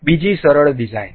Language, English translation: Gujarati, Another simple design